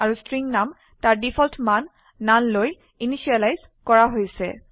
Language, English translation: Assamese, And the String name has been initialized to its default value null